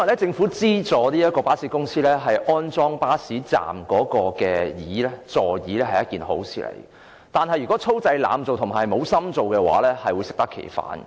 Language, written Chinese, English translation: Cantonese, 政府資助巴士公司在巴士站安裝座椅，本來是一件好事，但如果粗製濫造、漫不經心，便會適得其反。, It is a good idea for the Government to provide subsidies to bus companies for installing seats at bus stops but this may achieve the opposite results if the work is done in a slipshod and absent - minded manner